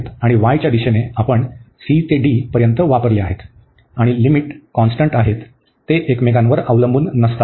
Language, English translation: Marathi, And in the direction of y we are wearing from c to d and the limits are constant they are not depending on each other